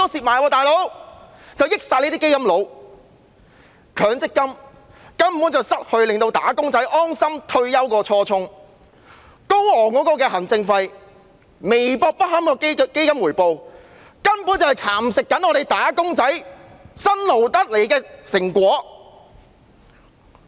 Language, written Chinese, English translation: Cantonese, 所有利益歸基金經理，強積金根本已失去令"打工仔"安心退休的初衷，行政費高昂，基金回報微薄不堪，根本是在蠶食"打工仔"辛勞得來的成果。, All benefits go to fund managers . The MPF System fails to achieve the original purpose of enabling employees to enjoy retirement without worries . Given the high administration fees and meagre returns MPF schemes are actually eating away the hard - earned money of wage earners